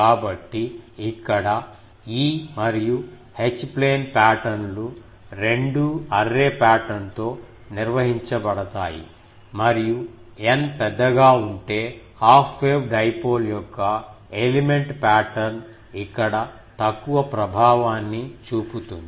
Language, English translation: Telugu, So, here both E and H plane patterns are governed by array pattern and if n is large; the element pattern of half wave dipole has little effect here